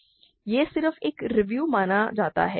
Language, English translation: Hindi, So, this is supposed to be just a review